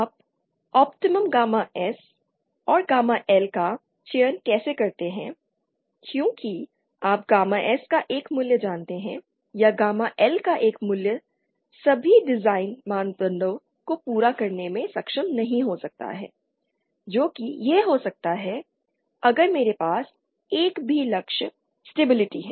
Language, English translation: Hindi, How do you select optimum gamma S and gamma L and the and mind you when I say how do you select since you know one value of gamma S or one value of gamma L may not be able to satisfy all the design parameters it may be that if I have a single goal say stability